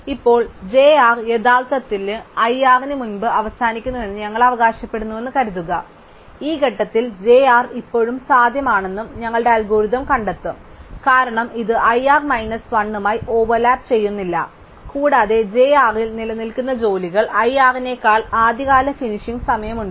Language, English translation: Malayalam, Now, suppose we claim that j r actually ends before i r, then our algorithm would at this stage find the j r is still feasible, because it does not overlap with i r minus 1 and among the jobs which remain j r has an earlier finishing time than i r